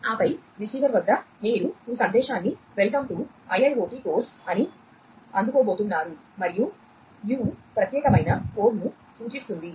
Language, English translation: Telugu, And then at the receiver, you know you are going to receive this message ‘welcome to IIoT course’ and u stands for unique code